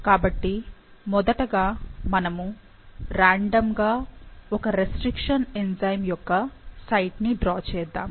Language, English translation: Telugu, So, first let's randomly draw a site for one of the restriction enzyme, which is SmaI